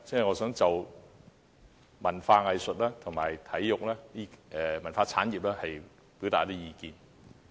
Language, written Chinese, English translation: Cantonese, 我想就文化、藝術和體育等方面表達意見。, Thus I would like to express my views on culture arts and sports